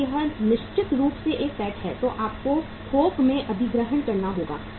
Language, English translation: Hindi, If it is a penetration certainly you have to acquire in bulk